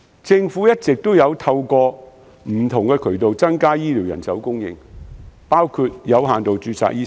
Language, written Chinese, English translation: Cantonese, 政府一直透過不同渠道增加醫療人手供應，包括開放醫生的有限度註冊。, The Government has long been increasing the supply of healthcare personnel through different channels including the introduction of limited registration for doctors